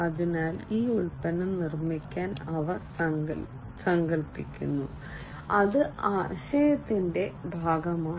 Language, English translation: Malayalam, So, they visualize this product to be built that is the ideation part